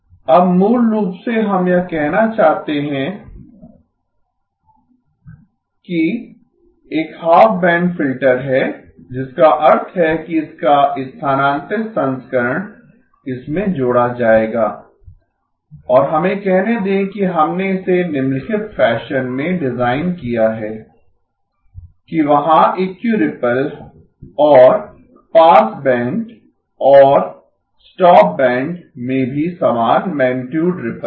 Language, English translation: Hindi, Now basically we want to say that G0 dash e of j omega is a half band filter, which means its shifted version will add up to and let us say that we have designed it in the following fashion ; that there is Equiripple and the passband and the same magnitude ripple in the stop band also